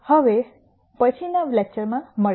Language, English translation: Gujarati, Now, see you in the next lecture